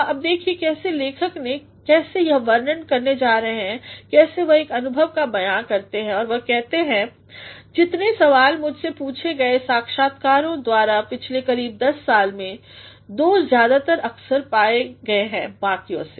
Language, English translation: Hindi, Now, look at how the author, how he goes to describe how he goes to narrate an experience and he says, “ Of the many questions that, I have been asked by interviewers over the last 10 years or so, two have occurred more frequently than others